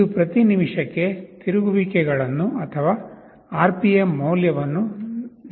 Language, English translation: Kannada, This will give you your revolutions per minute or RPM value